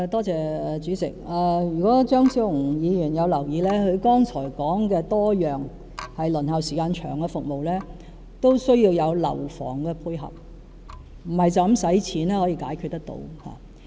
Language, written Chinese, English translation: Cantonese, 主席，如果張超雄議員有留意，他剛才提及多項輪候時間長的服務，均需要樓房的配合，不是單純用金錢便可以解決得到。, President Dr Fernando CHEUNG may have noticed that the various services with long waiting time he mentioned just now require buildings as complement a problem that cannot be solved with money alone